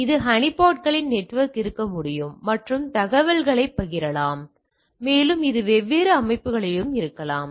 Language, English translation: Tamil, Now, there can be a network of this honeypots and to share the information and it can be across different organisations also